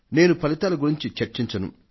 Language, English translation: Telugu, I won't discuss the results